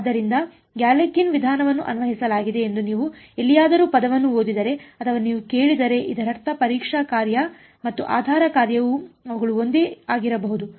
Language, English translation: Kannada, So, if you hear if you read the word anywhere with says Galerkin’s method was applied, it means the testing function and the basis function whatever they maybe about the same